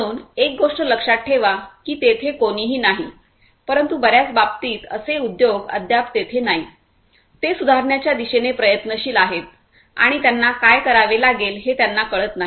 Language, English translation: Marathi, So, remember one thing that none of not none, but in most of the cases these industries are not there yet they are trying to; they are striving towards improvement and they do not really always understand what they will have to do